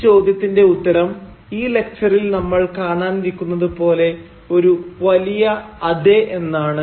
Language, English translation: Malayalam, The answer to this question, as we shall see during the course of this lecture, is a big YES